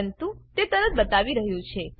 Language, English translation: Gujarati, But it seemed to showing immediately